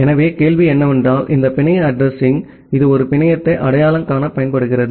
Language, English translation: Tamil, So, the question is that this network address, it is used to identify a network